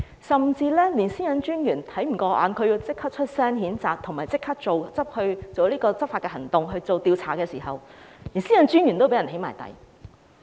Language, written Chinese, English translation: Cantonese, 個人資料私隱專員也看不過眼，立即發聲譴責，並即時採取執法行動展開調查，結果連私隱專員也被"起底"。, Even the Privacy Commissioner for Personal Data PCPD regarded such acts as having gone overboard and immediately voiced out his condemnation . He also took law enforcement actions immediately to conduct an investigation but even PCPD was doxxed eventually